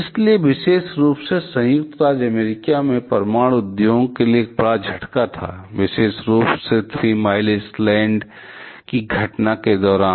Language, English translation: Hindi, So, there is a huge shake up to the nuclear industry in United States to be particular; in particular in during the Three Mile Island incident,